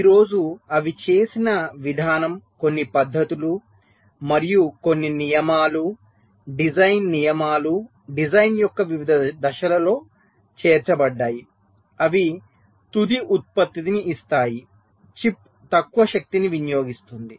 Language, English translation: Telugu, some techniques and some rules you can say design rules are incorporated at various stages of the design so that out final product, the chip, consumes less power